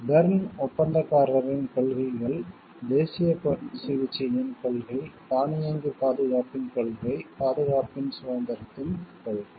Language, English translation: Tamil, The principles of Berne contractor, the principle of national treatment, the principle of automatic protection, the principle of independence of protection